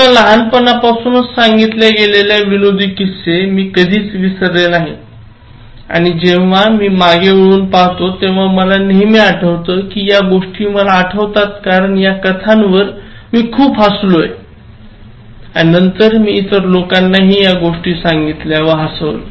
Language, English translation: Marathi, I have never forgotten any humourous stories, that were told to me from childhood and when I look back, I always remember that, these things I remember because I laughed at these stories and then I told other people also these stories and made them laugh